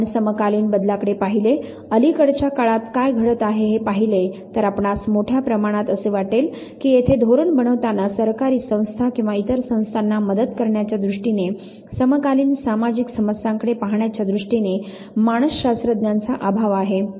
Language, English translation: Marathi, If you look at contemporary changes, if you look at what is happening in the recent time, you would largely find at there is an absence of psychologist, in policy making in terms of assisting government agencies or other agencies in terms of looking forward at the contemporary social problem, so big diversion has taken place